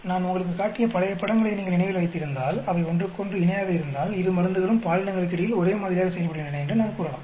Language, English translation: Tamil, If you remember the old pictures I showed you, ideally if they are parallel to each other, we can say both the drugs act in the similar way between both the genders